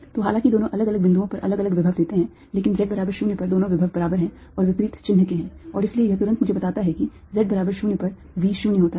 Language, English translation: Hindi, so although the two give different potential at different points, but at z equals zero, the two potential are equal and opposite in sign and therefore at